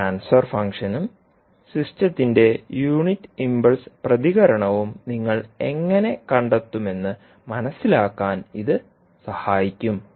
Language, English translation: Malayalam, So this will help you to understand how you will find out the transfer function and then the unit impulse response of the system